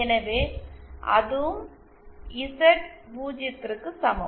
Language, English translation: Tamil, So, that is also equal to Z0